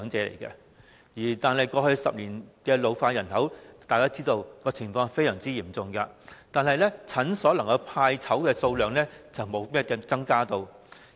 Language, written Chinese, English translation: Cantonese, 大家都知道，過去10年，人口老化的情況非常嚴重，但診所派籌的數量並沒有增加。, As we all know in the past decade the situation of population ageing has been rather serious but the number of discs allocated by the clinics has not seen any increase